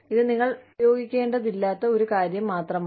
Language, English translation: Malayalam, It is just something that, you did not need to use